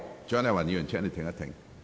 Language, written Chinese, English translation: Cantonese, 蔣麗芸議員，請稍停。, Dr CHIANG Lai - wan please hold on